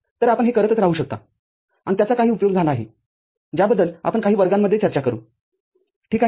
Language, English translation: Marathi, So, you can go on doing it and it has got certain use which we shall discuss later in some of the later classes ok